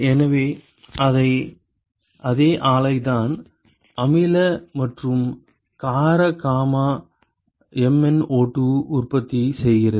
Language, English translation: Tamil, So, it is the same plant which manufactures the acidic and the alkaline gamma MnO2